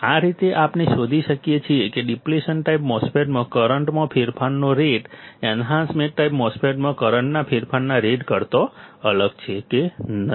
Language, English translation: Gujarati, This is how we can derive whether the rate of change of current in depletion type MOSFET is different than rate of change of current in enhancement type MOSFET